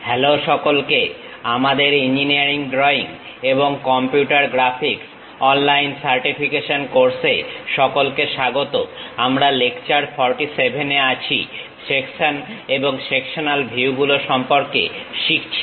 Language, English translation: Bengali, ) Hello everyone, welcome to our online certification courses on Engineering Drawing and Computer Graphics; we are at lecture number 47, learning about Sections and Sectional Views